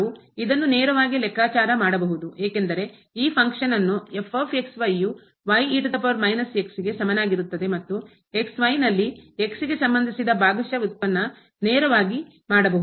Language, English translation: Kannada, We can also compute this directly because this function is given as is equal to power minus and the partial derivative with respect to at the point